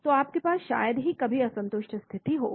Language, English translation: Hindi, So you will rarely have unsatisfied condition